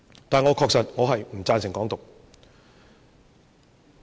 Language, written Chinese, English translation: Cantonese, 但是，我確實不贊成"港獨"。, Nonetheless I really do not endorse Hong Kong independence